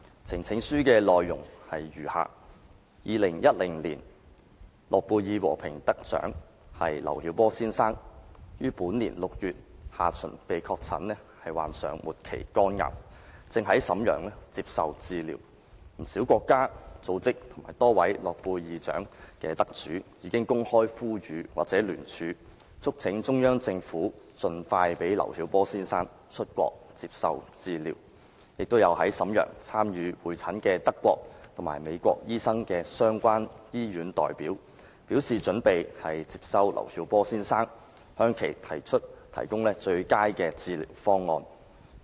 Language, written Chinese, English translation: Cantonese, 呈請書的內容如下 ：2010 年諾貝爾和平獎得主劉曉波先生於本年6月下旬被確診患上末期肝癌，正在瀋陽接受治療，不少國家、組織及多位諾貝爾獎得主已經公開呼籲或聯署，促請中央政府盡快讓劉曉波先生出國接受治療，亦有在瀋陽參與會診的德國及美國醫生的相關醫院代表，表示準備接收劉曉波先生，向其提供最佳的治療方案。, The content of the petition is as follows Mr LIU Xiaobo Nobel Peace Laureate 2010 was diagnosed with terminal liver cancer in late June this year and is now receiving medical treatment in Shenyang . Many countries and organizations and several Nobel Laureates have issued public appeals or signed petitions urging the Central Government to allow Mr LIU Xiaobo to leave the country for medical treatment as soon as possible . The German doctor and American doctor who represented the relevant hospitals and who took part in the conjoint consultation in Shenyang have also indicated that the hospitals are ready to admit Mr LIU Xiaobo and give him the best medical treatment